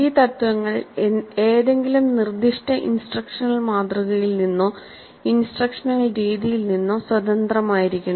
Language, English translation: Malayalam, Now these principles are to be independent of any specific instructional model or instructional method